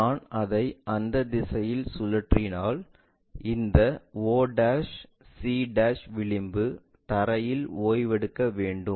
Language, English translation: Tamil, If I am rotating it in that direction this o' c' edge has to be resting on the ground